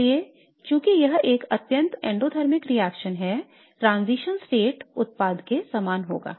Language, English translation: Hindi, So since this is a highly endothermic reaction the transition state will resemble the product